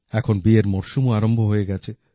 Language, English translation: Bengali, The wedding season as wellhas commenced now